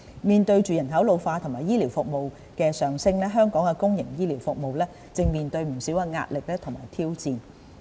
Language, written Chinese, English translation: Cantonese, 面對人口老化和醫療服務需求的上升，香港的公營醫療服務正面對不少壓力和挑戰。, In the face of an ageing population and an increasing demand for healthcare services our public healthcare services are faced with a lot of pressure and challenges